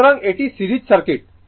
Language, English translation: Bengali, So, this is the this is the series circuit